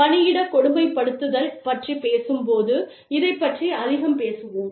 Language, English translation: Tamil, I mean, we will talk more about this, when we talk about, workplace bullying